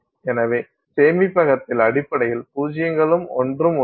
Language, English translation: Tamil, So the storage basically has zeros and ones